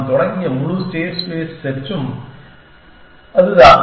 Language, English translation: Tamil, And that is the whole state space search that we started with